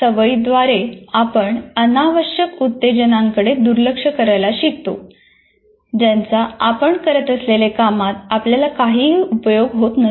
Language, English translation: Marathi, So the learning now through habituation we learn to ignore what do you call unnecessary stimuli that have no use for us for the task that we are doing